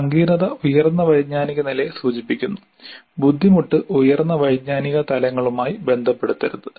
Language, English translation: Malayalam, So, complexity refers to higher cognitive levels, difficulty should not be associated with higher cognitive levels